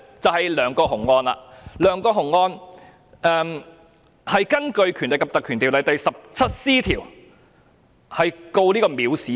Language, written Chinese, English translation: Cantonese, 在梁國雄案中，當局是根據《條例》第 17c 條控告梁國雄藐視罪。, In the case of LEUNG Kwok - hung he was charged with contempt under section 17c of PP Ordinance